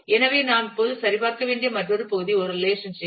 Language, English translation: Tamil, So, the other part that we will now have to check on is a relationship